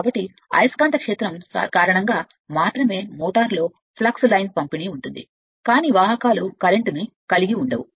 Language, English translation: Telugu, So, distribution of line of flux in a motor due to magnetic field only right, but conductors carrying no current